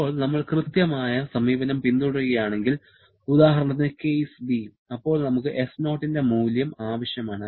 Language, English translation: Malayalam, Now, if we follow the exact approach, then we need the value of S0